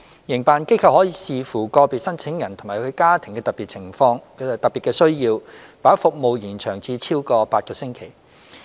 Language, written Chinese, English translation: Cantonese, 營辦機構可視乎個別申請人及其家庭的特別需要，把服務延長至超過8個星期。, Operators of STFASPs may extend the service period beyond eight weeks depending on the special needs of individual applicants and their families